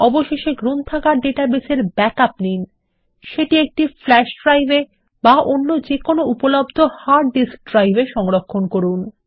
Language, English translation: Bengali, Finally, take a backup of the Library database, save it in a flash drive or another hard disk drive, if available